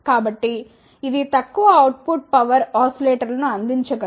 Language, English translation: Telugu, So, it can provide the low output power oscillators